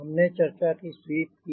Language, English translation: Hindi, we discuss about sweep